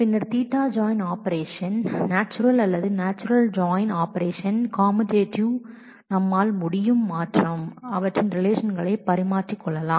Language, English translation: Tamil, Then theta join operation are natural or natural join operations are commutative, we can change interchange their relations